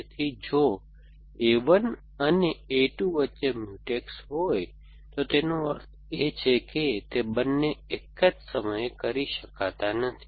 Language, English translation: Gujarati, So, it if there is a Mutex between A 1 and A 2, it means they both cannot be done at the same time